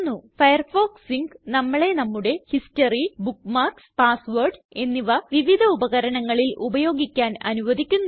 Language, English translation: Malayalam, Firefox Sync lets us use our history, bookmarks and passwords across different devices